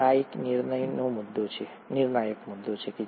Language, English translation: Gujarati, Now this is a crucial point